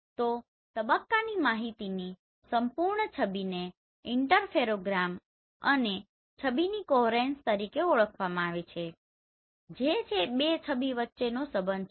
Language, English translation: Gujarati, So the entire image of the phase information is known as Interferogram and image of the coherence that is the correlation between the two images